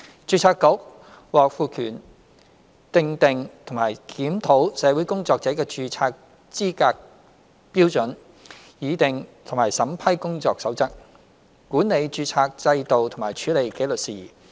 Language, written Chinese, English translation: Cantonese, 註冊局獲賦權訂定和檢討社會工作者的註冊資格標準、擬訂和審批《工作守則》、管理註冊制度及處理紀律事宜。, The Board is empowered to set and review the qualification standards for the registration of social workers formulate and approve codes of practice administer the registration system and handle disciplinary matters